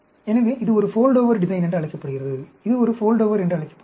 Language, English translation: Tamil, So, this is called a Foldover design; this is called a Foldover